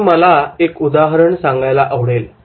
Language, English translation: Marathi, Now here I would like to take one example